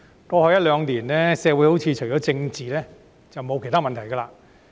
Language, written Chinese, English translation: Cantonese, 過去一兩年，社會好像除了政治，便沒有其他問題。, In the past year or two it seemed that there were no other problems in society apart from political issues